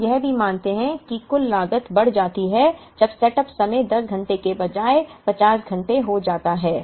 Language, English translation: Hindi, We also observe that the total cost increases when the setup time becomes 50 hours instead of 10 hours